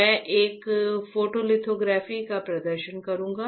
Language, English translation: Hindi, I will perform a photolithography